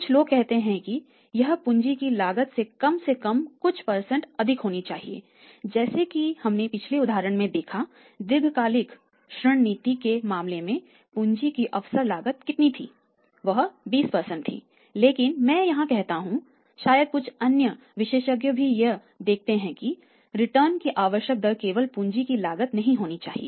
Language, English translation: Hindi, Some people say that it is should be cost of capital that at least as we have seen in the previous example in case of the long term credit policy change the opportunity cost of capital was how much that is 20% but I say here or maybe some other expert also see that the required rate of return should not be near the cost of capital